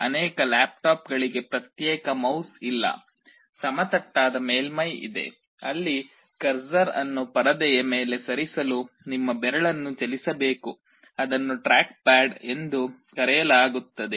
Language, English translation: Kannada, Many of the laptops have no separate mouse; there is a flat surface, where you have to move your finger to move the cursor on the screen; that is called a trackpad